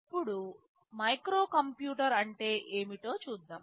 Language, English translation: Telugu, Now, let us see what is a microcomputer